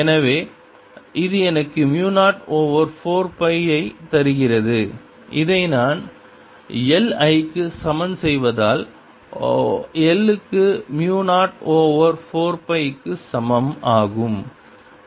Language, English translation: Tamil, so this gives me mu zero over four pi i and if i equate this to i, i get l equals mu zero over four pi